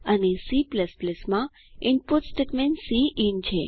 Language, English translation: Gujarati, And the input statement in C++ is cin